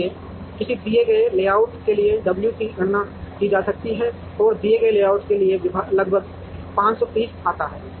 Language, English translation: Hindi, So, w into d for a given layout can be calculated, and this comes to about 530 for the given layout